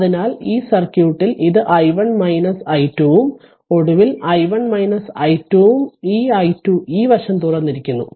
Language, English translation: Malayalam, So, in this circuit it is i 1 minus i 2 right and finally, i 1 minus i 2 and that this i 2 this side is open